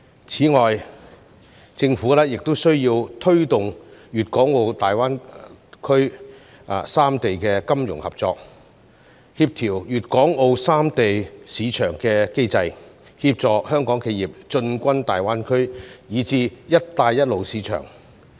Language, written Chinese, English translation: Cantonese, 此外，政府亦需要推動大灣區三地的金融合作、協調粵港澳三地市場機制，協助香港企業進軍大灣區以至"一帶一路"市場。, In addition the Government also needs to promote financial cooperation among the three regions in GBA and coordinate the market mechanisms of Guangdong Hong Kong and Macao so as to help Hong Kong enterprises enter GBA and even the Belt and Road market